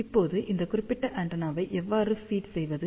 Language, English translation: Tamil, Now, how to feed this particular antenna